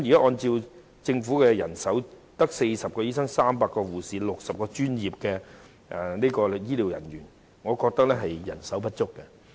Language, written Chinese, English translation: Cantonese, 按照政府提供的人手資料，現時只有40名醫生、300名護士及60名專職醫療人員，我認為人手並不足夠。, According to the information on manpower provided by the Government at present there are only 40 doctors 300 nurses and 60 allied health professionals so I consider the manpower insufficient